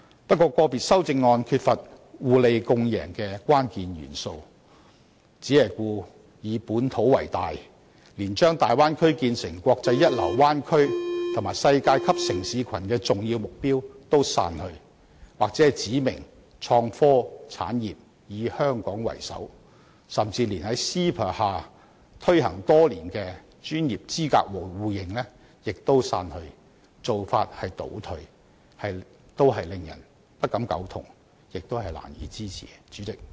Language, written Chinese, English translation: Cantonese, 不過，個別修正案缺乏互利共贏的關鍵元素，只以本土為大，連將大灣區建構成"國際一流灣區和世界級城市群"的重要目標也刪去，又或指明創科產業須"以香港為首"，甚至連 CEPA 下推行多年的專業資格互認亦刪去，做法倒退，令人不敢苟同，亦難以支持。, Yet the crucial element of complementarity and mutual benefits is not included in certain individual amendments which has focused only on localism . Some of them have turned the clock back by deleting the important target of developing the Bay Area into a first - class international bay area and a world - class city cluster or specifying the development of a Hong Kong - led innovation and technology industry and even deleting the initiative adopted over the past many years to pursue mutual recognition of professional qualifications under the MainlandHong Kong Closer Economic Partnership Arrangement . All these suggestions are hardly agreeable to us and we cannot lend them our support